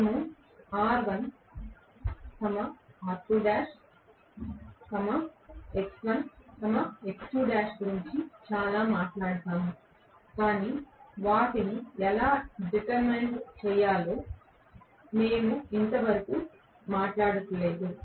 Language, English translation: Telugu, We talk so much about R1 R2 dash x1 x2 dash but we did not talk so far as to how to determent them